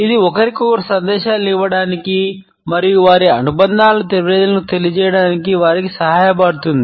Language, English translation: Telugu, It helps them to give messages to each other and letting people know their affiliations